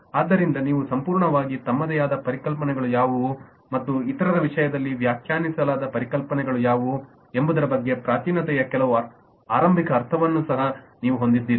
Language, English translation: Kannada, so you have also some early sense of primitiveness coming in as to what are the concepts that are completely on their own and what are the concepts which are defined in terms of the others